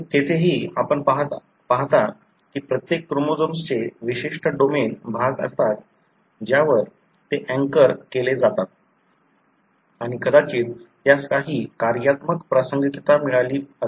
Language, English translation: Marathi, Even there, you see that each chromosome has domains particular region on which they are anchored and probably that has got some functional relevance